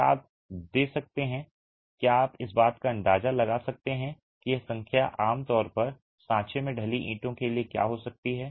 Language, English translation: Hindi, Can you give, can you hazard a guess of what could be this number typically for hand the molded bricks